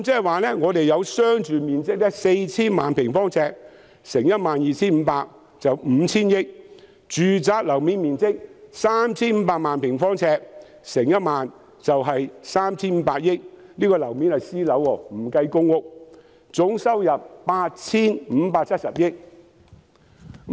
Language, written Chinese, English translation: Cantonese, 換言之，商住面積 4,000 萬平方呎，乘 12,500 元是 5,000 億元；住宅樓面面積 3,500 萬平方呎，乘1萬元是 3,500 億元，這是私樓的面積，不計公屋，總收入是 8,570 億元。, In other words for a residential - cum - commercial site of 40 million sq ft if we multiply the area by 12,500 the price is 500 billion . For a residential site with a floor area of 35 million sq ft if we multiply the area by 10,000 the price is 350 billion . This is the area for private housing excluding public housing